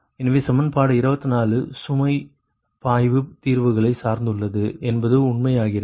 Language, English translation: Tamil, actually, right so equation twenty four depends on the load flow solutions